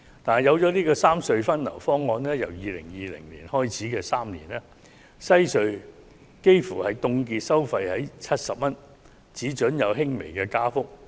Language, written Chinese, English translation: Cantonese, 但是，推行三隧分流方案後，由2020年開始的3年內，西隧的收費幾乎會凍結在70元的水平，只准作出輕微加幅。, However the implementation of the proposal for the re - distribution of traffic among the three road harbour crossings will result in a near - freeze on the tolls of WHC at the level of 70 over a three years period from 2020 allowing a slight increase only